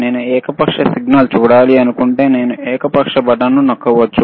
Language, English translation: Telugu, If I want to see arbitrary signal, I can press arbitrary button